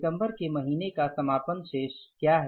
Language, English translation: Hindi, What is the closing balance of month of December